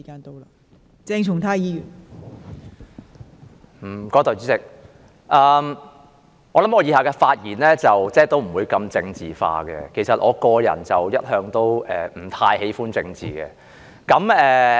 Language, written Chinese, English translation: Cantonese, 代理主席，相信我以下的發言不會太政治化，其實我個人一向也不太喜歡政治。, Deputy Chairman the speech I am about to make probably will not be too political as in fact I personally do not like politics that much